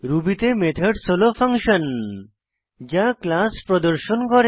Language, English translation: Bengali, Recall that in Ruby, methods are the functions that a class performs